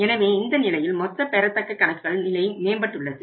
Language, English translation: Tamil, So, in that case the overall accounts receivable situation is improving